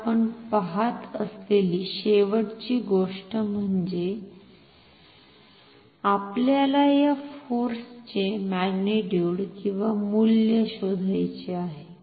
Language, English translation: Marathi, Now, the last thing that we will see we will find the magnitude or the value of this force